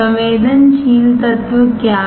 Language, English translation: Hindi, What is sensitive element